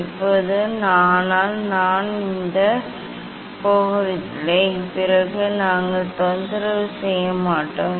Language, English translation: Tamil, Now, but this we are not going to then we will not disturb